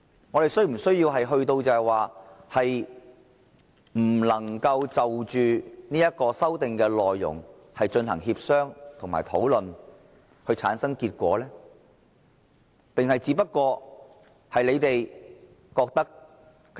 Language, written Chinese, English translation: Cantonese, 我們是否需要弄到不能就着修訂的內容，進行協商和討論，以產生結果的地步呢？, Have things developed to a degree that we cannot even discuss and negotiate the contents of the amendments in a bid to reach an outcome?